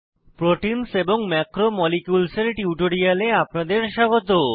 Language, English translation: Bengali, Welcome to this tutorial on Proteins and Macromolecules